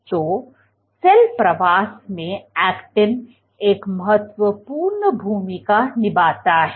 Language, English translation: Hindi, So, actin plays a key role in cell migration